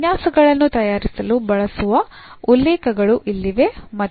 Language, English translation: Kannada, So, here are the references used for preparing the lectures and